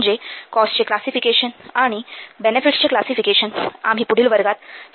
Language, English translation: Marathi, I mean the classification of the cost and the classification of benefits we will discuss in the next class